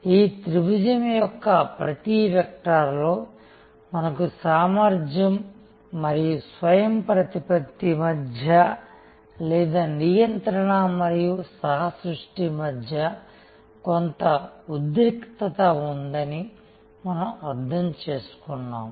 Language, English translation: Telugu, We understood that on each vector of this triangle, we have some tension between efficiency and autonomy or between control and co creation and so on